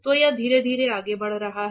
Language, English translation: Hindi, So, it is moving slowly moving